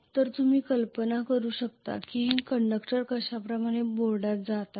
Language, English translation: Marathi, So you can imagine as though the conductors are going in to the board like this